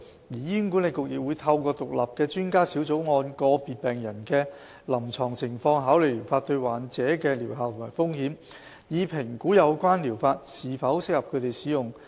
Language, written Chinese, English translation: Cantonese, 醫管局亦會透過獨立的專家小組，按個別病人的臨床情況考慮療法對患者的療效和風險，以評估有關療法是否適合他們使用。, HA will monitor the clinical conditions of individual patients and examine the efficacy of the treatments and the risks involved through an independent expert panel to decide whether the treatments are suitable for them